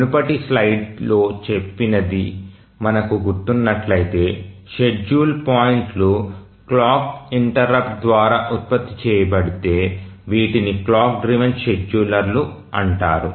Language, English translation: Telugu, So, if you remember what we said in the earlier slide is that if the scheduling points are generated by a clock interrupt, these are called as clock driven scheduler